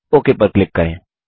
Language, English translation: Hindi, Now click OK